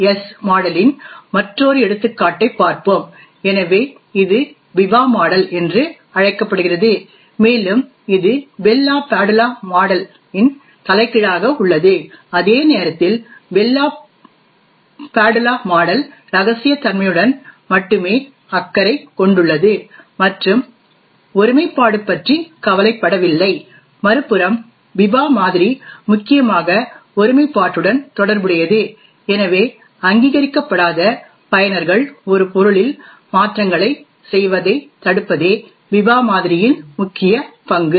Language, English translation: Tamil, now so this is known as the Biba model and essentially it is the Bell LaPadula model upside down, while the Bell LaPadula model is only concerned with confidentiality and is not bothered about integrity, the Biba model on the other hand is mainly concerned with integrity, so the main role of the Biba model is to prevent unauthorized users from making modifications to an object